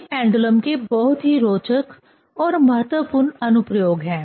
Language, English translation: Hindi, These are very interesting and important application of pendulum